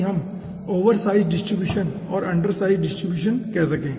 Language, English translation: Hindi, okay, so that we called oversize distribution and undersize distribution